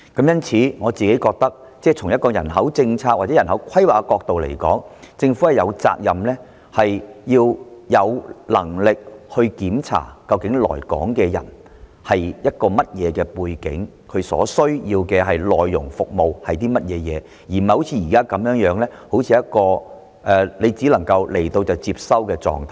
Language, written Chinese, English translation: Cantonese, 因此，我個人認為從人口政策或人口規劃的角度來看，政府有責任及有能力去檢視來港的人究竟有何背景，他們所需要服務的內容為何，而並非如目前一樣，當他們來港便只能接收的狀態。, Therefore I personally think that from the perspective of population policy or population planning the Government has the responsibility and the capability to examine the background of the people who are coming to Hong Kong and the kind of services they need . A different stance should be taken not just accepting whoever is sent here